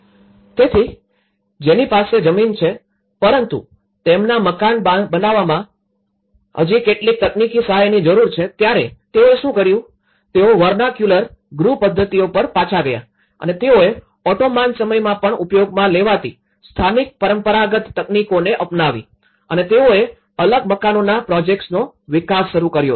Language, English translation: Gujarati, So, those who have a land but require still some technical assistance to construct their house, so here, what they have used they even gone back to the vernacular housing methodologies and they adopted the local traditional technologies, which were even used in Ottoman times and they have started developing a detached housing projects